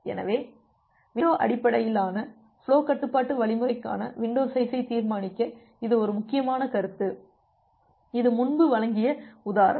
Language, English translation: Tamil, So, this is an important concept to decide the window size for a window based flow control algorithm; so the example that I have given you earlier